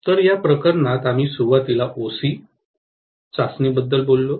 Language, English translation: Marathi, So, in this case we initially talked about OC test